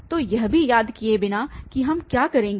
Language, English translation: Hindi, So, without remembering also what we will do